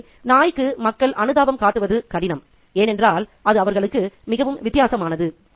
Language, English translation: Tamil, So, it's difficult for people to sympathize with the dog because it's very, very different to them